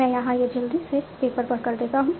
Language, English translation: Hindi, So let me just do it quickly on the paper